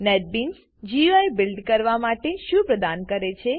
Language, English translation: Gujarati, What does Netbeans provide for building GUI